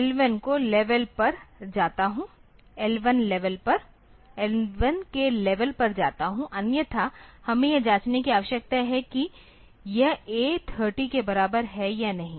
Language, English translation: Hindi, So, in that case I go to level L 1 otherwise I need to check whether it is equal to A 3 0 or not